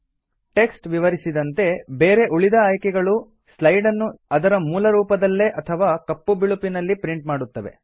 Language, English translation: Kannada, As the text describes, the other options will print the slide in its original colour or in black and white